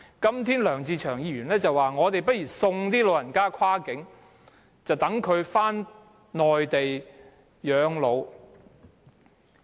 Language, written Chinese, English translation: Cantonese, 今天梁志祥議員說不如送老人跨境，讓他們返回內地養老。, Mr LEUNG Che - cheung today suggests sending elderly persons across the boundary and letting them spend their advanced years on the Mainland